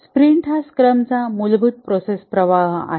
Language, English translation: Marathi, The sprint is the fundamental process flow of scrum